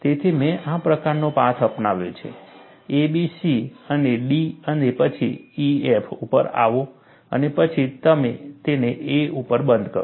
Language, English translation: Gujarati, So, I have taken a path like this, A, B, C and to D and then, come to E, F and then close it at A